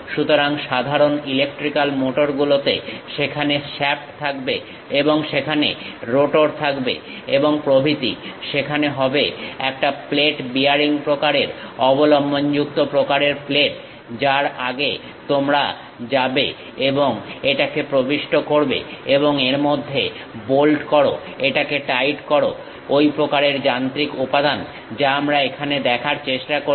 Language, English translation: Bengali, So, the typical electrical motors, there will be shaft and there will be rotor and so on; there will be a plate bearing kind of supported kind of plate which you go ahead and insert it and bolt in it, tighten it, such kind of machine element what we are trying to look at here